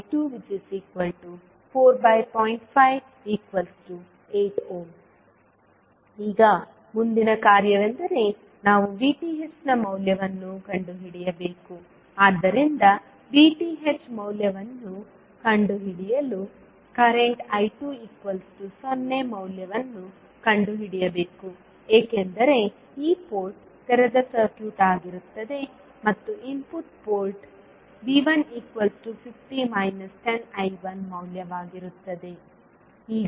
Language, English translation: Kannada, Now, next task is we need to find out the value of V Th, so for finding out the value of V Th the value of current I 2 will be 0 because this port will be open circuited and the input port the value of V 1 will be now 50 minus of 10 I 1